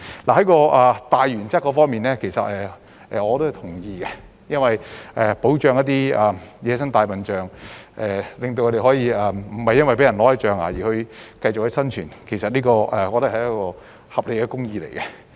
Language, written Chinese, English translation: Cantonese, 在大原則方面，其實我是同意的，因為保護野生大象，令牠們不會被奪象牙並可繼續生存，我認為是合理的公義。, I actually agree with the broad principle in question as I consider it a reasonable justice to save wild elephants from being poached for their ivory tusks